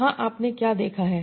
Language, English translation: Hindi, So that's what you are seeing here